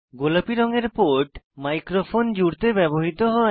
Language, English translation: Bengali, The port in pink is used for connecting a microphone